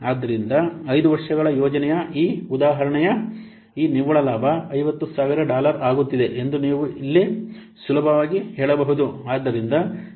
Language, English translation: Kannada, So, here you can see easily that the net profit for this example project for 5 years is coming to be $50,000